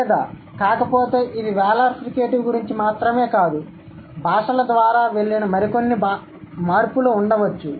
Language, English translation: Telugu, Or if not, it's not only about the wheeler frickative, there could be some other changes which the languages have gone through